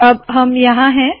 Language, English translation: Hindi, So there it is